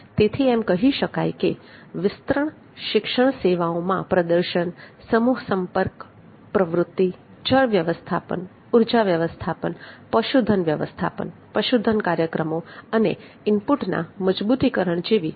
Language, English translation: Gujarati, so the extension education services have the demonstrations mass contact activity have the water management energy management livestock management livestock programs and the strengthening input supply